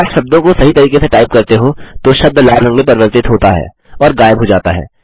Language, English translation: Hindi, If you type the words correctly, the word turns red and vanishes